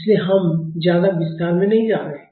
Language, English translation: Hindi, So, we are not going into much detail